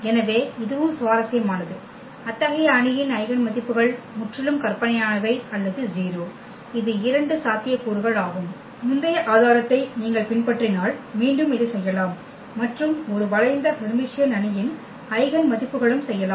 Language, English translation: Tamil, So, this is also interesting here that eigenvalues of such matrices are either purely imaginary or 0 that is the two possibilities, which again if you follow the earlier proof we can also do this one and the eigenvalues of the a skew Hermitian matrix